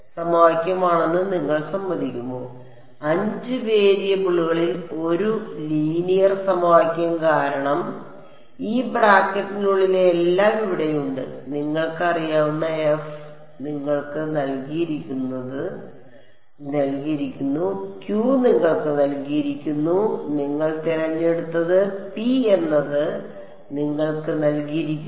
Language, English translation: Malayalam, One linear equation in 5 variables because over here is everything inside this bracket known f is given to you, q is given to you p is given to you n 1 I mean N i e you chose W m you chose